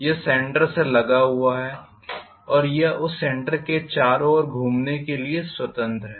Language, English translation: Hindi, It is riveted in the centre and it is free to rotate probably around that centre